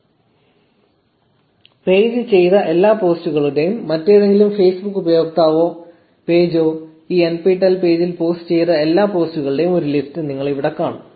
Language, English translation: Malayalam, So, you see a list of all the posts that the page has done and all the posts that any other Facebook user or page has done on this nptel page here